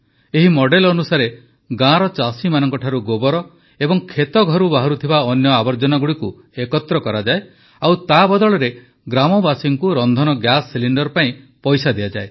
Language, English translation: Odia, Under this model, dung and other household waste is collected from the farmers of the village and in return the villagers are given money for cooking gas cylinders